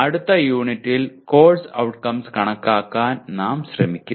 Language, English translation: Malayalam, And in the next unit, we will try to compute the attainment of course outcomes